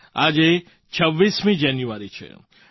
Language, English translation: Gujarati, Today is the 26th of January